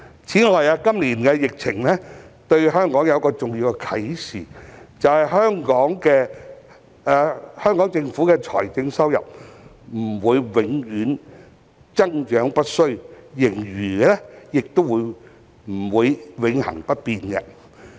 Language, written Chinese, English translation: Cantonese, 此外，今年的疫情對香港有一個重要的啟示，便是香港政府的財政收入不會永遠增長不衰，盈餘亦不會永恆不變。, In addition an important inspiration drawn from this years epidemic is that the revenue of the Hong Kong Government will not always go up and that we should not always take a fiscal surplus for granted